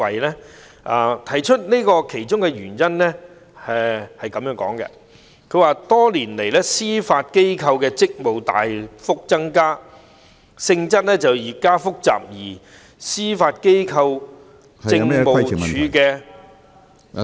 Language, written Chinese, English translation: Cantonese, 我引述這建議的其中一個原因，是多年來，司法機構的職務大幅增加，性質越加複雜，而司法機構政務處的......, I cited this proposal because over the years the tasks handled by the Judiciary have significantly increased and their nature has become more complicated and the Judiciary Administration